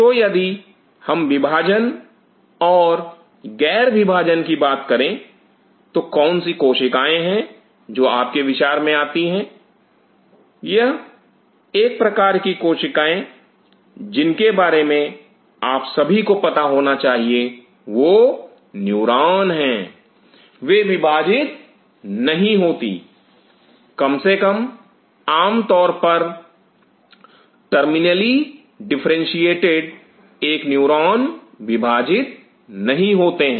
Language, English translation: Hindi, So, if we talk about dividing and non dividing what are the cells which comes in your mind, one of the cells which you must all be aware of are neurons, they do not divide, at least the terminally differentiate a neuron do not divide